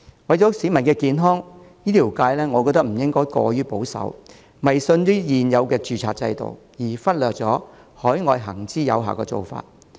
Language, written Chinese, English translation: Cantonese, 為了市民的健康，醫療界不應過於保守，迷信現有的註冊制度，而忽略海外行之有效的做法。, For the sake of public health the healthcare sector should not be overly conservative superstitious about the existing registration system and regardless of the approach proven to be effective overseas